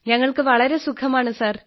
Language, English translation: Malayalam, We are very good sir